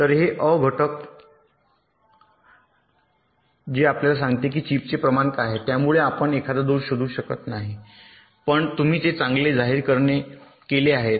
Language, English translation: Marathi, ok, so this is a factor which tells you that what is the proportion of the chip which you cannot detect a fault but you have declared it as good